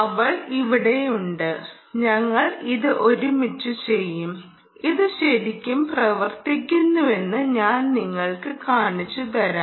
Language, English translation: Malayalam, she is right here, and we will do it together and i will actually show you that this really works